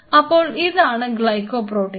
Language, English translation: Malayalam, So, these are Glycol Protein